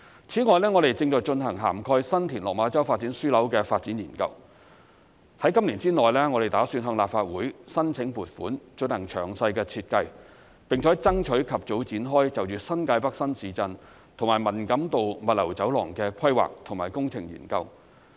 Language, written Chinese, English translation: Cantonese, 此外，我們正在進行涵蓋新田/落馬洲發展樞紐的發展研究，打算在今年之內向立法會申請撥款進行詳細的設計，並且爭取及早展開就着新界北新市鎮和文錦渡物流走廊的規劃及工程研究。, Moreover we are conducting a development study covering San TinLok Ma Chau Development Node and intend to seek funding approval from the Legislative Council within this year for the detailed design . Also we will strive for the early commencement of the planning and engineering study for the new town in New Territories North and the Man Kam To Logistics Corridor